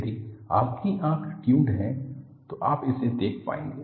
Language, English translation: Hindi, If your eye is tuned, you will be able to see this